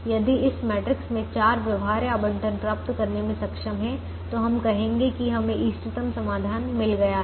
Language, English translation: Hindi, so if we are able to make an allocation four, if you are able to get four feasible allocations in this matrix, then we would say that we have got the optimum solution for this particular example